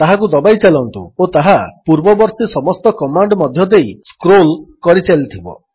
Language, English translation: Odia, Keep pressing and it will keep scrolling through the previous commands